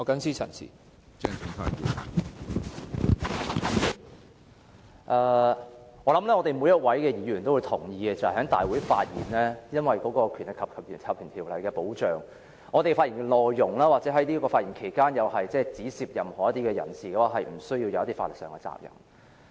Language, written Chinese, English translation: Cantonese, 相信每位議員也同意，議員在議事堂上發言，由於受《立法會條例》保障，因此我們的發言內容，或是在發言期間指涉任何人士的說話，也無須負上法律責任。, I believe every Member will agree that as we are protected under the Legislative Council Ordinance we shall not be legally responsible for the content of our speeches or words involving any person during our speeches in the Chamber